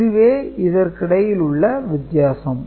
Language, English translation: Tamil, This is the difference